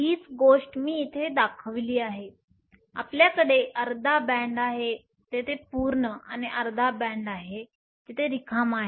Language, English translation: Marathi, This is the same thing I have shown here you have a half a band there is full and half a band, there is empty